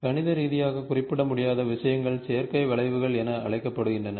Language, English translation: Tamil, So, these things, which cannot be mathematically represented, are called as synthetic curves